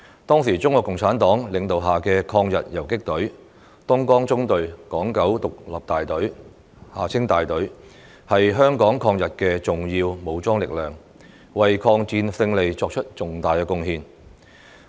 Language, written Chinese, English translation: Cantonese, 當時中國共產黨領導下的抗日游擊隊"東江縱隊港九獨立大隊"是香港抗日的重要武裝力量，為抗戰勝利作出重大貢獻。, The Hong Kong Independent Battalion of the Dongjiang Column an anti - Japanese aggression guerrilla force under the leadership of the Communist Party of China was an important force in Hong Kongs resistance against Japanese aggression and made significant contributions to the victory of the war